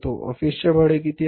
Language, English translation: Marathi, This is office rent